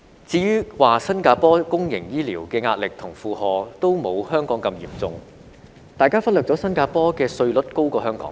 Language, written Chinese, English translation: Cantonese, 至於說新加坡公營醫療的壓力和負荷均沒有香港般嚴重，大家忽略了新加坡的稅率高於香港。, As for the argument that the pressure and burden on the public healthcare system in Singapore are not as heavy as those in Hong Kong people have overlooked the fact that the tax rate in Singapore is higher than that in Hong Kong